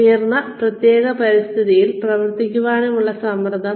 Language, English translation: Malayalam, Pressure to perform in a highly specialized environment